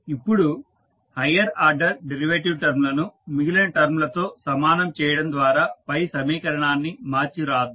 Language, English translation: Telugu, Now, let us arrange the above equation by equating the highest order derivative term to the rest of the terms